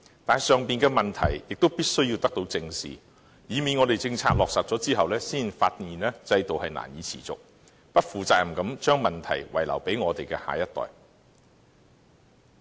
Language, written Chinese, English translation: Cantonese, 但是，上述的問題必須得到正視，以免政策落實後，才發現制度難以持續，只能不負責任地將問題遺留給我們的下一代。, Nevertheless we must face the problem above squarely so as to avoid the scenario where the unsustainability of the system is realized only after its implementation prompting us to leave the problems to the next generation irresponsibly